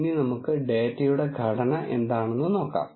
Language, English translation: Malayalam, Let us look at what is the structure of the data